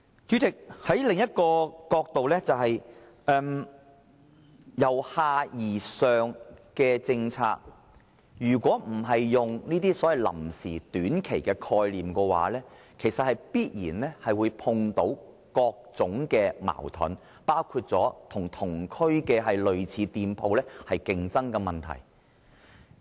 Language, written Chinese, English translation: Cantonese, 主席，從另一個角度來看，對於由下而上這政策，如果不是採用臨時或短期的概念來做，便必然會碰到各種矛盾，包括與同區類似店鋪出現競爭的問題。, President viewing from another perspective if the bottom - up policy is not based on the concepts of temporary or short - term operation there will inevitably be various contradictions including competition against similar shops in the same district